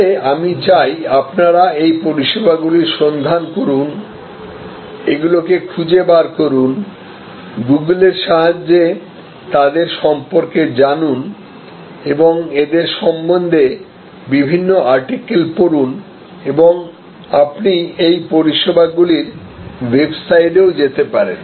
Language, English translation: Bengali, But, what I would like you to do is to look into these services, search out about them, read about them through Google, through their various articles will be available and you will be able to go to the website of this services